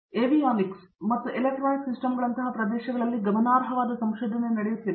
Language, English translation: Kannada, And even areas such as avionics and electronic system there is significant research that is going on